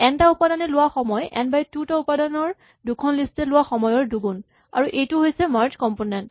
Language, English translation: Assamese, The time taken for n elements is two times time taken for two list of n by 2 and this is the merge component